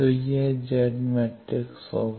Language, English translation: Hindi, So, this will be the Z matrix